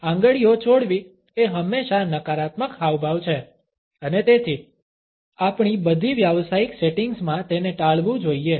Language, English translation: Gujarati, Dropping of fingers is always a negative gesture and therefore, it should be avoided in all of our professional settings